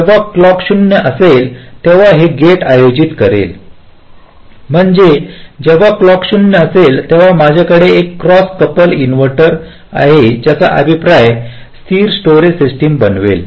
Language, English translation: Marathi, when clock will be zero, then this gate will be conducting, which means when clock is zero, i have a cross couple inverter with feedback that will constitute a stable storage system